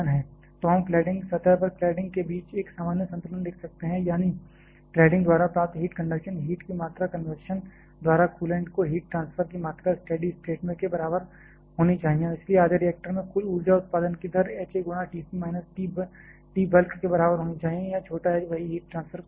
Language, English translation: Hindi, So, we can write a general balance between the cladding at the cladding surface; that is the amount of conduction heat received by the cladding should be equal to the amount of heat transfer to the coolant by convection under steady state and hence the total rate of energy generation by half of the reactor should be equal to h A into T c minus T bulk here small h is the corresponding heat transfer coefficient